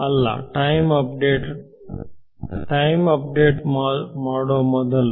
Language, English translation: Kannada, No before I do a time update